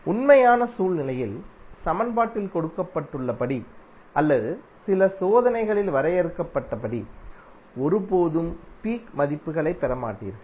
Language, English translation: Tamil, Because in real scenario you will never get peak values as given in the equation or as defined in some experiment